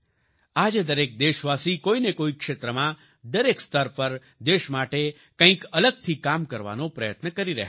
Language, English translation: Gujarati, Today every countryman is trying to do something different for the country in one field or the other, at every level